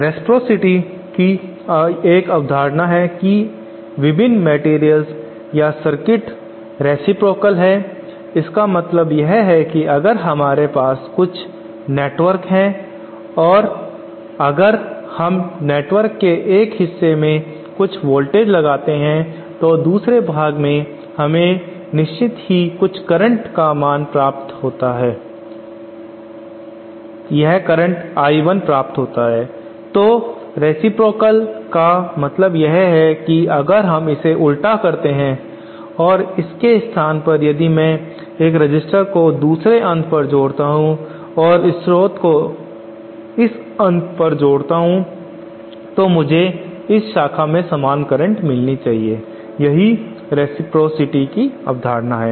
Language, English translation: Hindi, Now there is a concept of reciprocity various materials or various circuits are reciprocal, what it means is that if we have a network we have some network and if we apply some voltage at one part of the network and say in another part we get a certain I I, I 1 then reciprocity means that if we reverse this that if weÉ no in place of this if I suppose connect this resistor at this end, and this source at this end then I should be able to get the same current at this at this branch so that is the concept of reciprocity